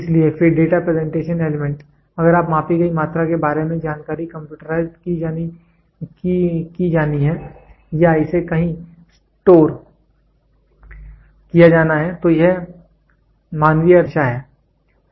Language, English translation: Hindi, So, then the Data Presentation Element; if the information about the measured quantity is to be computerized or is to be stored somewhere so, then is to human sense it is always there